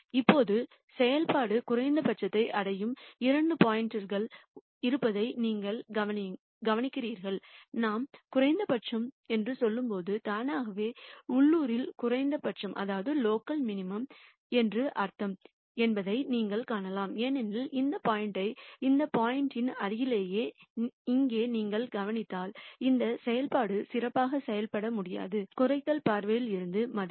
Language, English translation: Tamil, Now, you notice that there are two points where the function attains a minimum and you can see that when we say minimum we automatically actually only mean locally minimum because if you notice this point here in the vicinity of this point this function cannot take any better value from a minimization viewpoint